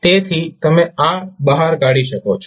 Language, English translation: Gujarati, So you can take this out